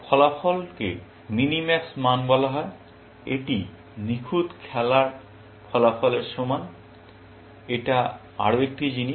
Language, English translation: Bengali, The outcome is called the minimax value, is equal to outcome of perfect play, one more thing